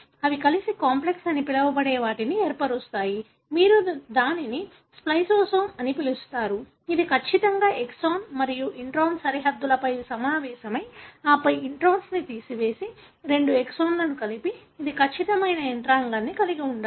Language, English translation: Telugu, They together form what is called as the complex, which you call as spliceosome, which assemble on exactly the boundaries of exon and intron and then remove the intron and join the two exons together and this has to be a precise mechanism